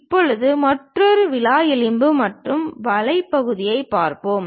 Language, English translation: Tamil, Now, let us look at another rib and web section